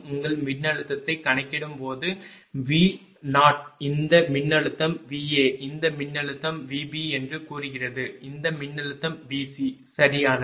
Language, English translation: Tamil, Then when you calculate the your this this voltage is say V O, this voltage say V A, this voltage say V B, this voltage is V C right